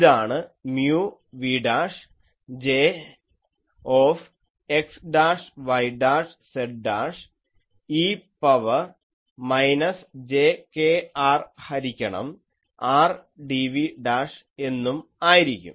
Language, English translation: Malayalam, This is mu v dash J x dashed y dashed z dashed e to the power minus jkr by R dv dashed ok